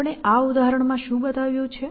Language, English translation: Gujarati, What we have shown in this example